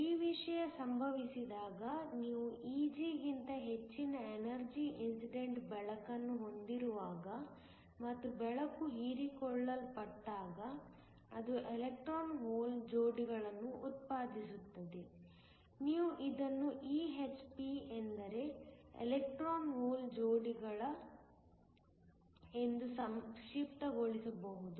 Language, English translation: Kannada, When this thing happens, when you have incident light of energy greater than Eg and light gets absorbed, it produces electron hole pairs, you can also abbreviates this as EHP just means a Electron Hole Pairs